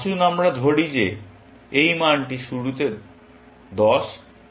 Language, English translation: Bengali, Let us say this value is 10, to begin with